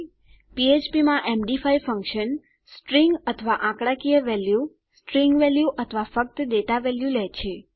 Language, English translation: Gujarati, Md5s function in php takes a string or numerical value, string value or just a data value